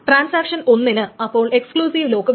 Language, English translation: Malayalam, So transaction 1 wants an exclusive lock